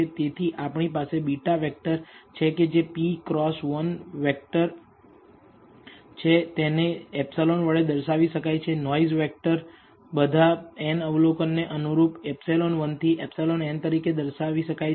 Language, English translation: Gujarati, So, we have beta vector which is a p cross 1 vector we can also de ne epsilon, the noise vector, as epsilon 1 to epsilon n corresponding to all the n observations